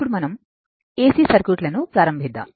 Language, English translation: Telugu, Now, we will start for your AC circuit